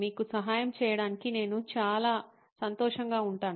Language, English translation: Telugu, I will be more than happy to help you